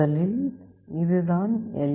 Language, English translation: Tamil, Firstly, this is the LED